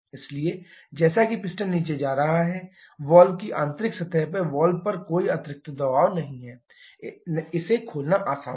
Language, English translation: Hindi, So, as the piston is going down, there is no additional pressure acting on the valve on the inner surface of the valve was easier to open